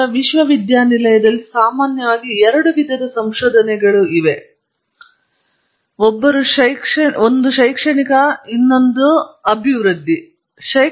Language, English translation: Kannada, Then there are two kinds of research in general the university; one is academic, the other is developmental